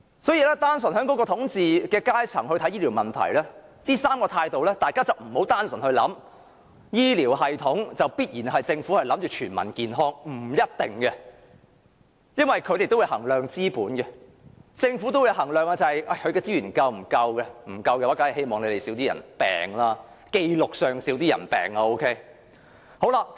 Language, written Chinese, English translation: Cantonese, 所以，單純從統治階層角度來看待醫療問題的上述3種取態，大家不要以為政府必然希望全民健康，這並不一定，因為當局須衡量資本和資源是否足夠，如果並不足夠，則當然希望在紀錄上有較少人患病。, Therefore when judging the three types of attitudes mentioned above towards health care problems solely from the perspective of the ruling class we should not take it for granted that the Government would surely wish to achieve better health for all . This is not necessarily the case because the Government has to take the adequacy of its capital and resources into consideration and if it does not have sufficient capital and resources it would of course hope that a fewer number of patients would be recorded